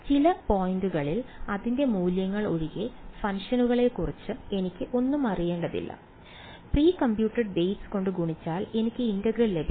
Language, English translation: Malayalam, I do not need to know anything about the function except its values at some points, multiplied by precomputed weights I get the integral